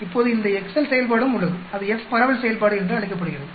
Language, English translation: Tamil, Now this excel function is also there that is called the f dist function